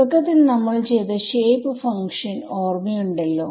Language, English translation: Malayalam, Remember the shape function that we had shown in the very beginning, right